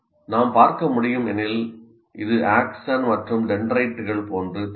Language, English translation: Tamil, As you can see, it also looks like the axon and the dendrites kind of thing